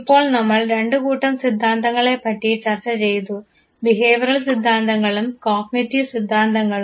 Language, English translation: Malayalam, Now, that we have talked about the two sets of theories the behavioral theories and the cognitive theories